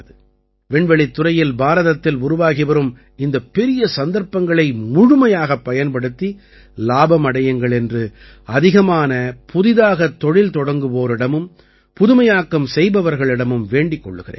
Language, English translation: Tamil, I would urge more and more Startups and Innovators to take full advantage of these huge opportunities being created in India in the space sector